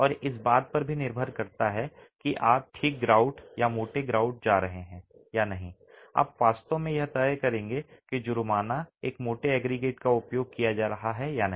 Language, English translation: Hindi, And depending on whether you are going with a fine grout or a coarse grout, you actually will decide whether a fine, whether a coarse aggregate is going to be used or not